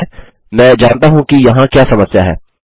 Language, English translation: Hindi, Al right, I know what the problem is here